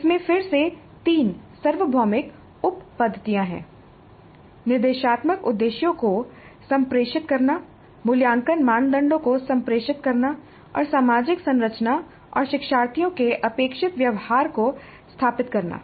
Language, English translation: Hindi, So framing is quite helpful and this has again three universal sub methods, communicate the instructional objectives, communicate assessment criteria and establish the social structure and the expected behavior of the learners